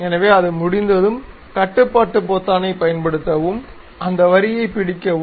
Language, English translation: Tamil, So, once it is done, use control button, hold that line